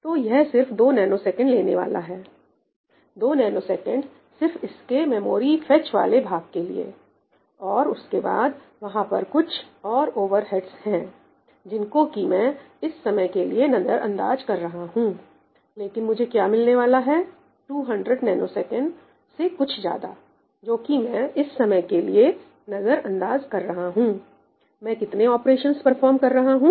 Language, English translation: Hindi, So, this is just going to take 2 nanoseconds 2 nanoseconds is just for the memory fetch part of it, and then, there are some other overheads, which I am going to ignore for the time being; but roughly what am I getting in about 200 nanoseconds plus a bit more, which I am ignoring for the time being, I am performing how many operations